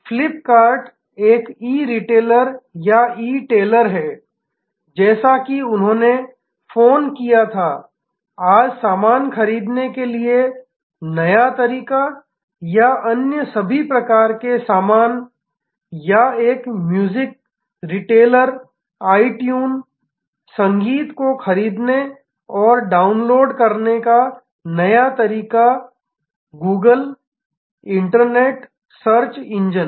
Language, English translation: Hindi, Flip kart is an E retailer or E tailer as they called, new way to buy goods or different other kinds of all kinds of goods today or itune a music retailer, new way of buying and downloading music or Google, the internet search engine